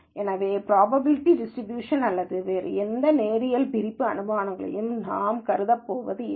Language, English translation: Tamil, So, we are not going to assume probability distribution or any other linear separability assumptions and so on